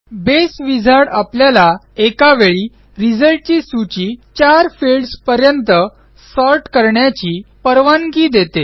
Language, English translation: Marathi, The Base Wizard, allows us to sort upto 4 fields in the result list at a time